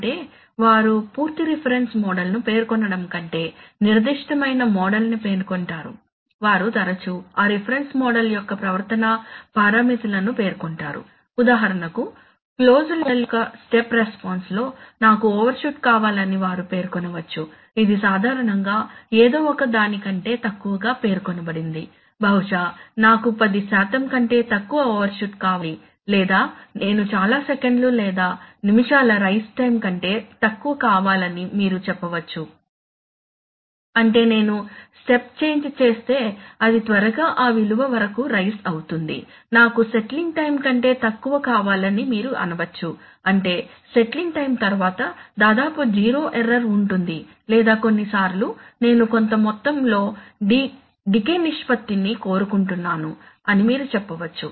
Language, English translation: Telugu, Is that, they do state certain rather than stating a complete reference model, they often state some behavioral parameters of that reference model, for example they can state that, in the step response of the closed loop model, I want an overshoot which is generally stated as lower than something, maybe I want less than ten percent overshoot or you can say that I want less than so many seconds or minutes of rise time, which means that if I make a step change it will quickly rise to that value, you may say that I want less than so much of settling time which means that after that, after the settling time, will get nearly zero error or you can say sometimes, you can say that I want a certain amount of decay ratio now what is decay ratio